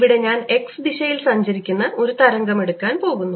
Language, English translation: Malayalam, in particular, i am going to take a wave travelling in the x direction